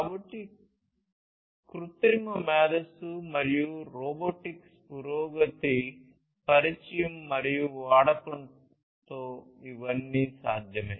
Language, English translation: Telugu, So, all these are possible with the introduction and use of artificial intelligence and advancement in robotics